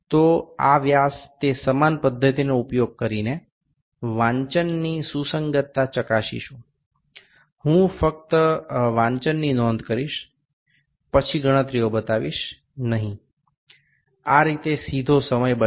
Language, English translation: Gujarati, So, this dia using same procedure the reading that is coinciding, I will just note down the reading then would not show the calculations, directly will be saving time this way